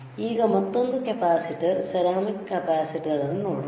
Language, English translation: Kannada, Now, let us see another capacitor, ceramic capacitor